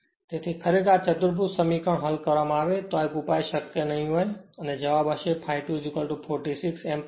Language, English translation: Gujarati, So, if you solve this quadratic equation, 1 solution may not be feasible and answer will be I a 2 is equal to 46 ampere right